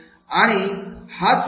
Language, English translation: Marathi, What is the goal